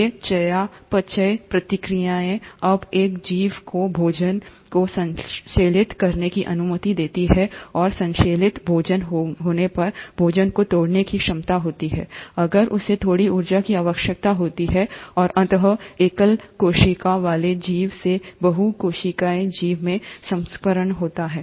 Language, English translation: Hindi, These metabolic reactions to allow an organism to now synthesize food, and having synthesized food, also have the ability to break down the food if it needs to have some energy, and eventually transition from a single celled organism to a multi cellular organism